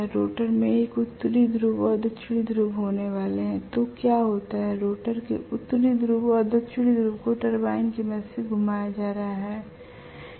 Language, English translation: Hindi, The rotor is going to have a north pole and south pole, so what happens is the north pole and south pole of the rotor is being rotated with the help of a turbine